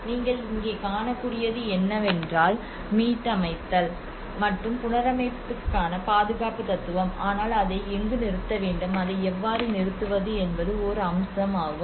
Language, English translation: Tamil, And here, what you can see is that conservation philosophy of restoring and the reconstruction, but where to stop it, How to stop it, that is one aspect one has to really think about it